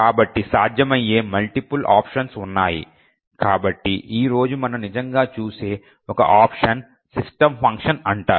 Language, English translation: Telugu, So, there are multiple options that are possible so one option that we will actually look at today is known as the system function